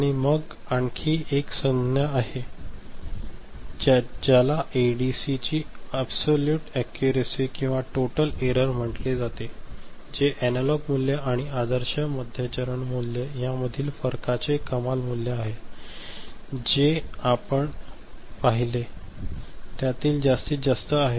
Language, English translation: Marathi, And then there is another term called absolute accuracy or total error of an ADC, which is the maximum value of the difference between an analog value and the ideal mid step value, the one that you have seen the maximum of it